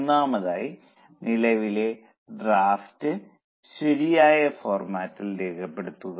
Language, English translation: Malayalam, Firstly, just record the current draft in a proper format